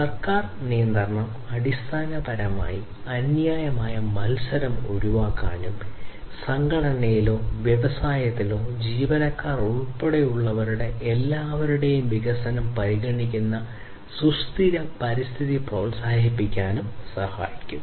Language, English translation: Malayalam, So, government regulation will help in basically avoiding unfair competition and also to promote sustainable environment considered development for everyone including the employees of the organization or the industry